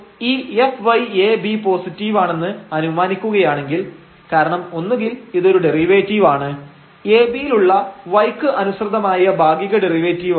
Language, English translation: Malayalam, So, if we assume this f y a b is positive because either this is a derivative, partial derivative with respect to y at a b